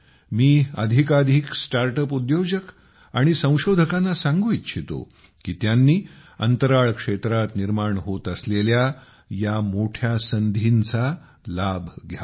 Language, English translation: Marathi, I would urge more and more Startups and Innovators to take full advantage of these huge opportunities being created in India in the space sector